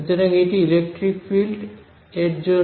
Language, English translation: Bengali, So, that is as far as the electric field goes